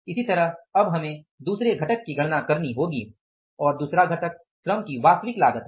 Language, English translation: Hindi, Similarly now we have to calculate the second component and this second component is the actual cost of the labor